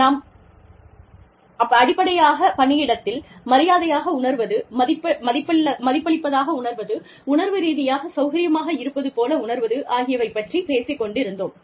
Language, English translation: Tamil, We are essentially talking about, feeling respected, feeling valued, feeling emotionally comfortable, in the workplace